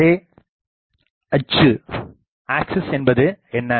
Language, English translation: Tamil, What is the array axis